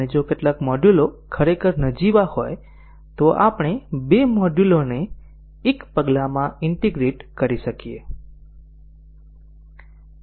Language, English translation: Gujarati, And if some of the modules are really trivial then we might even integrate two modules in one step